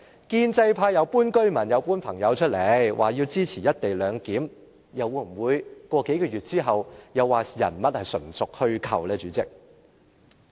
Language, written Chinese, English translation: Cantonese, 建制派搬出居民，又搬出朋友，說他們支持"一地兩檢"，數個月後，又會否說人物是純屬虛構呢，代理主席？, Pro - establishment Members now claim that residents and their friends support the co - location arrangement . But after a few months will they say that these people are simply fictitious Deputy President?